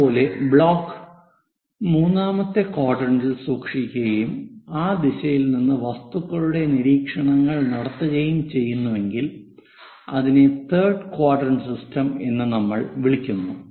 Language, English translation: Malayalam, Similarly, if the block is kept in the third quadrant and we are making objects observations from that direction, we call that one as third quadrant system